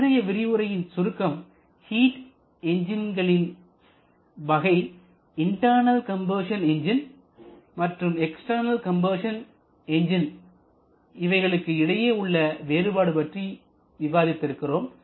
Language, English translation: Tamil, We have discussed about the classification of heat engines to identify the difference between external combustion and internal combustion engines